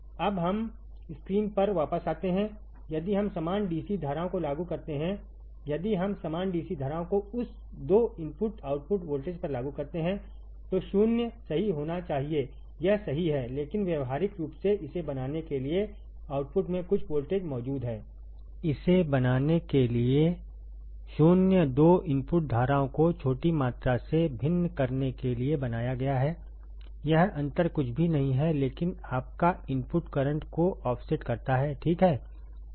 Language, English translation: Hindi, Now let us come back to the screen if we apply equal DC currents if we apply equal DC currents to that 2 inputs output voltage must be 0, right; that is correct, but practically there exist some voltage at the output to make this to make it 0 the 2 input currents are made to differ by small amount this difference is nothing, but your input offset current, all right